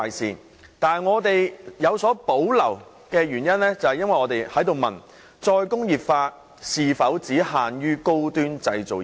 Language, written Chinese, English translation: Cantonese, 然而，我們有所保留的原因，在於我們質疑"再工業化"是否應只限於高端製造業。, Yet we doubt whether or not re - industrialization should be confined to high - end manufacturing industries and hence we have reservations about this